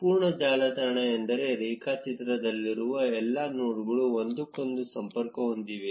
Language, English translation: Kannada, A complete network means that all the nodes in the graph are connected to each other